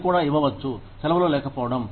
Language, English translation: Telugu, You could also give them, leaves of absence